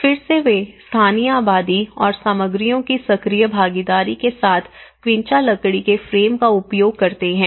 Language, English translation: Hindi, Again, they use the quincha timber frame with the active participation of local population and materials